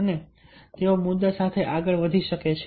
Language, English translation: Gujarati, ah, so they can go ahead with the issues